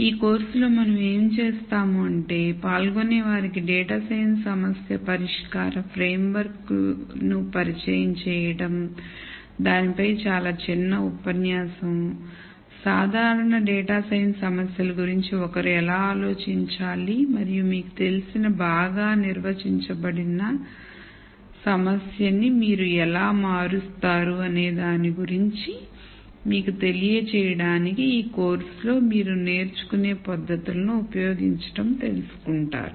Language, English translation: Telugu, What we will do in this course is introduce the participants to a data science problem solving framework, very short lecture on that, to give you a view of how one should think about general data science problems and how you convert a problem you know which is not well de ned into something that is manageable using the techniques such you learn in this course